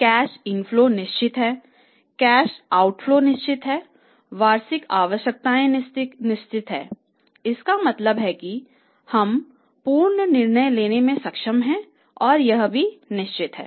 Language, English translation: Hindi, Cash inflows are certain, outflows are certain, requirements are certain and annual requirement is also means we are able to pre decide and that is also certain